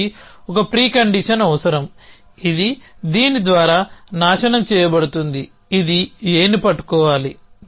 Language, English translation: Telugu, It needs A pre condition which is destroyed by this which is should be holding A